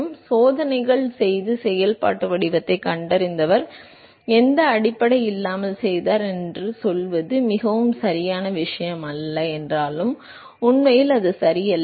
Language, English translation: Tamil, So, although it is not a very correct thing to say that the person who did the experiments and found the functional form, did it without any basis, that is not correct actually